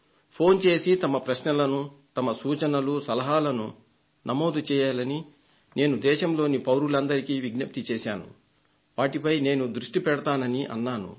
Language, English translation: Telugu, I had requested the citizens to call up telephonically and get their suggestions or queries recorded